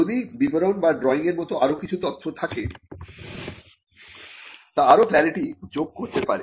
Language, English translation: Bengali, If there are some further information like a description or drawing that needs that can add further clarity